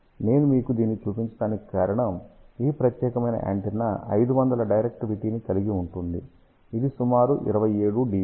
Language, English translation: Telugu, The reason why I am showing you this, this particular antenna has a directivity of 500 which is about 27 dBi